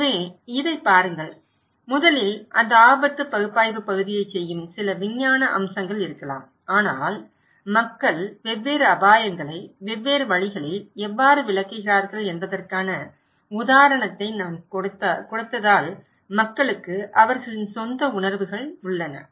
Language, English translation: Tamil, So, look into this, that first maybe some scientific aspect doing that risk analysis part but people have their own perceptions as I gave the example that how people interpret different risk in different ways